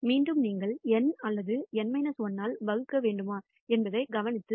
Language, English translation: Tamil, Again whether you should divide by N or N minus 1 is a point to be noted